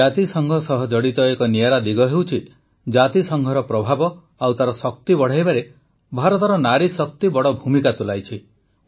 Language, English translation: Odia, A unique feature related to the United Nations is that the woman power of India has played a large role in increasing the influence and strength of the United Nations